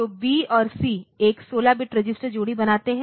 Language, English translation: Hindi, So, B and C form a 16 bit register pair